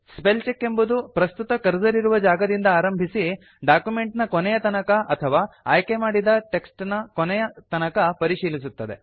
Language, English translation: Kannada, The spellcheck starts at the current cursor position and advances to the end of the document or selection